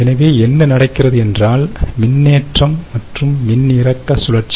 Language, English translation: Tamil, so what happens is, again, you have a charging and discharging cycle